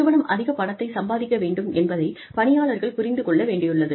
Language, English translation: Tamil, Employees understand that, the organization needs to make a lot of money